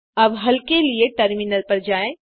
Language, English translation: Hindi, Now switch to the terminal for solution